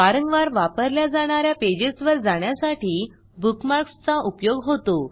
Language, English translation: Marathi, Bookmarks help you navigate to pages that you use often